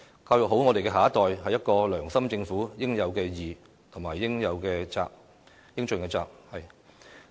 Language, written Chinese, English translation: Cantonese, "教育好我們下一代，是一個良心政府應有之義和應盡之責。, Educating the next generation properly is a due responsibility of a government with conscience